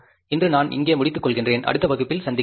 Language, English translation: Tamil, For today, I stop here and we'll meet in the next class